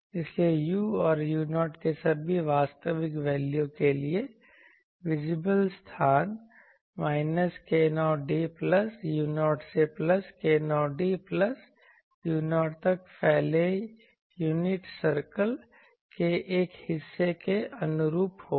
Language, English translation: Hindi, So, for all real values of u and u 0, visible space will correspond to a portion of the unit circle extending from minus k 0 d plus u 0 to plus k 0 d plus u 0